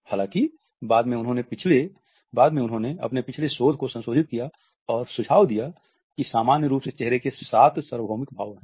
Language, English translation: Hindi, However, later on he revised his previous research and suggested that there are seven common universal facial expressions